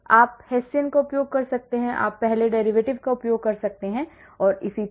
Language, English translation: Hindi, you can use Hessian, or you can use first derivative and so on